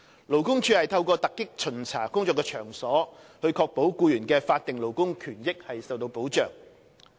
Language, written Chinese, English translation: Cantonese, 勞工處透過突擊巡查工作場所，以確保僱員的法定勞工權益受到保障。, LD conducts surprise inspections of workplaces to ensure that the statutory labour rights and benefits of employees are protected